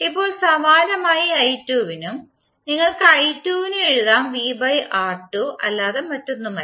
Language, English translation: Malayalam, Now, similarly for i2 also you can write i2 is nothing but V by R2